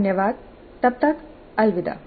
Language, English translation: Hindi, Thank you until then